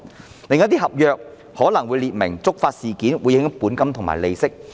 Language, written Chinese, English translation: Cantonese, 然而，另一些合約可能訂明了觸發事件會影響本金和利息。, Nevertheless some other contracts stipulated that predefined trigger events would affect the principal and interests